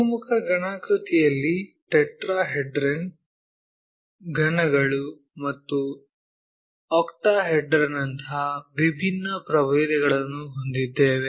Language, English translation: Kannada, In polyhedra we have different varieties like tetrahedron, cubes, and octahedron